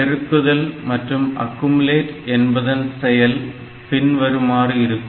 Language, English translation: Tamil, So, multiply accumulate will be doing like this